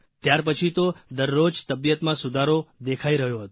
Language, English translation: Gujarati, After that, there was improvement each day